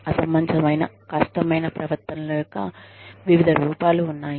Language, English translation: Telugu, Various forms of, unreasonable difficult behaviors, exist